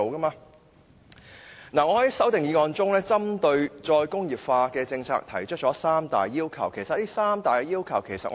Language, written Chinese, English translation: Cantonese, 我在修正案中，針對"再工業化"的政策提出了三大要求，包括低污染、低用地量及高增值。, My amendment contains three major requirements for the re - industrialization policy which include developing high value - added industries that are low in pollution and land requirement